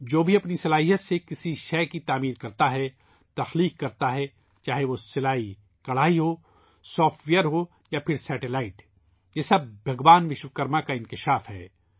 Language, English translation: Urdu, innovates… whether it is sewingembroidery, software or satellite, all this is a manifestation of Bhagwan Vishwakarma